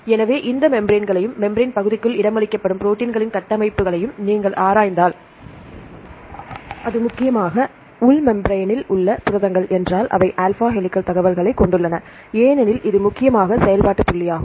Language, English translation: Tamil, So, if you look into these membranes and the structures of the proteins, which are accommodated within the membrane region, if you in the inner membrane it's mainly the proteins in the inner membrane they have alpha helical information because of it mainly the functional point of view, they have the alpha helical information